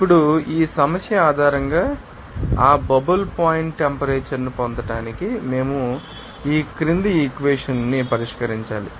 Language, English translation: Telugu, Now, we need to solve this following equation to get that bubble point temperature based on this problem